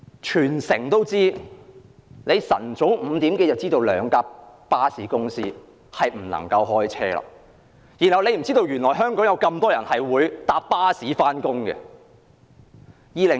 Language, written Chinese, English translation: Cantonese, 特首早在清晨5時已經知道兩間巴士公司不能提供服務，但她卻不知道香港有很多人乘坐巴士上班。, The Chief Executive was informed at 5col00 am early in the morning that the two bus companies were unable to provide services but she had no idea that a considerable amount of people in Hong Kong went to work by bus